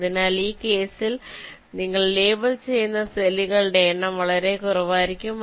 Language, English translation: Malayalam, so number of cells you are labeling in this case will be much less